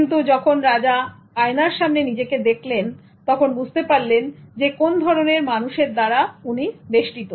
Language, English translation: Bengali, But until the emperor looked at himself on the mirror, then he realized what kind of people that he was surrounded by